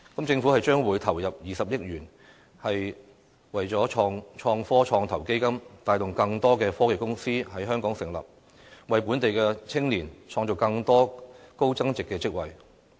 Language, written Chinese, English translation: Cantonese, 政府將會投入20億元在創科創投基金，帶動更多科技公司在香港成立，為本地青年創造更多高增值的職位。, The Government will invest 2 billion in the Innovation and Technology Venture Fund to attract more technology companies to set up their businesses in Hong Kong thereby creating more high value - added jobs for the youngsters